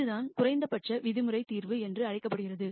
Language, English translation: Tamil, This is what is called the minimum norm solution